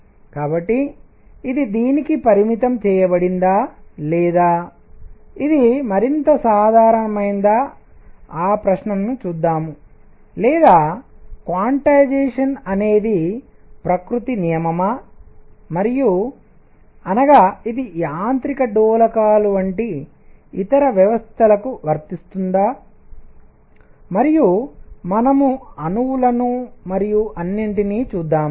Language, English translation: Telugu, So, is it limited to this or is it more general or so, let us see that question or is quantization a law of nature and; that means, does it apply to other systems like mechanical oscillators and we will see atoms and all that